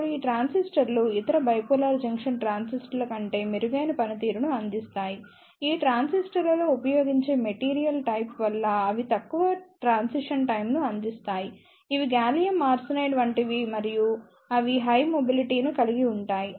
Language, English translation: Telugu, Now these transistors provide better performance over other bipolar junction transistors, they provide low transition time due to the type of material used in these transistors that are like gallium arsenide and they relatively have high mobility